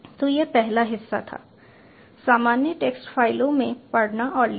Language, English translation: Hindi, so this was part one, reading and writing from normal text files